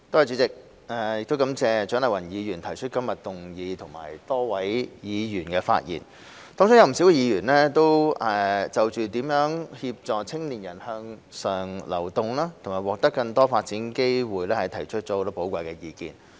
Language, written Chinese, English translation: Cantonese, 主席，我感謝蔣麗芸議員提出今日的議案，以及多位議員的發言，當中有不少議員均就如何協助青年人向上流動及獲得更多發展機會提出了許多寶貴意見。, President I thank Dr CHIANG Lai - wan for proposing todays motion and a number of Members for their speeches . Many of them have put forward a lot of valuable views on how to help young people move up the social ladder and gain more opportunities for development